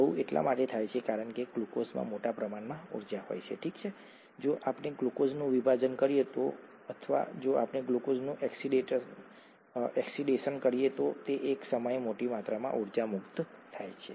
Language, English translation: Gujarati, This happens because a large amount of energy in glucose, okay, if we split glucose, or if we oxidise glucose, a large amount of energy gets released at one time